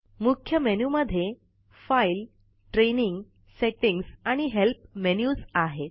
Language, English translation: Marathi, The Main menu comprises the File, Training, Settings, and Help menus